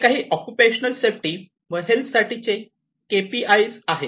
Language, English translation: Marathi, So, these are some of these KPIs for occupational safety and health